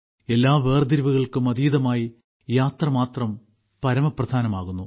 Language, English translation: Malayalam, Rising above all discrimination, the journey itself is paramount